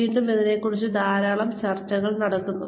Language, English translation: Malayalam, Again, there is a lot of debate going on, about this